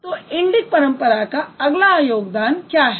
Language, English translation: Hindi, So, what is the next contribution of Indic tradition